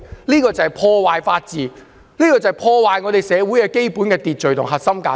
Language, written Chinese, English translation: Cantonese, 這個做法就是破壞法治，破壞我們社會的基本秩序及核心價值。, This approach is indeed destroying the rule of law destroying the fundamental order and core values in our society